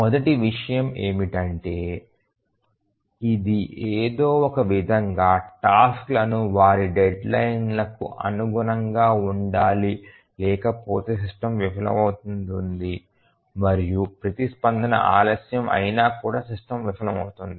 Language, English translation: Telugu, So, the first thing is that it somehow has to make the tasks meet their deadlines otherwise the system will fail, if the response is late then the system will fail